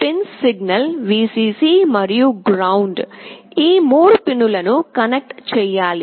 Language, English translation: Telugu, These pins are signal, Vcc and GND; these 3 pins have to be connected